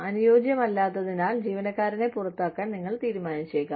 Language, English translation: Malayalam, You may decide, to discharge the employee, due to poor fit